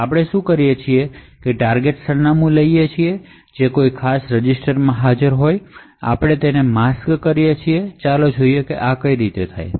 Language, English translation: Gujarati, So what we do is we take the target address which is present in a particular register and we mask it, so let us see how this is done